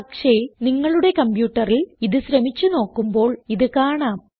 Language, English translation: Malayalam, But when you try this on your computer, you will be able to see this option